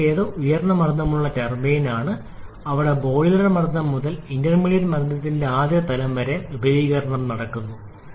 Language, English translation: Malayalam, The first one is the high pressure turbine ,where the expansion takes place from boiler pressure to first level of intermediate pressure